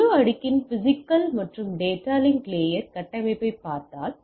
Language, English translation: Tamil, And if we look at the physical and data link layer structure of the whole stack